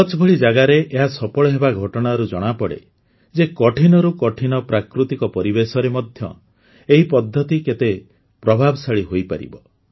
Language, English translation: Odia, Its success in a place like Kutch shows how effective this technology is, even in the toughest of natural environments